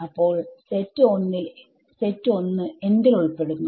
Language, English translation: Malayalam, So, what is set 1 belongs to